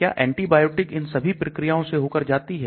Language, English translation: Hindi, What the antibiotic goes through all these processes